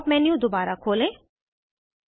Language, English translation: Hindi, Open the Pop up menu again